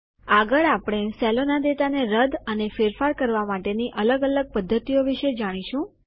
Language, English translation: Gujarati, Next we will learn about different ways in which we can delete and edit data in the cells